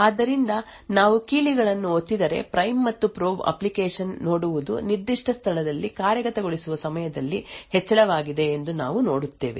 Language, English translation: Kannada, So, we see that as keys are being pressed what the prime and probe application sees is that there is an increase in execution time during a particular place